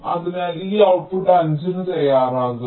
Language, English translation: Malayalam, so this output will be ready by five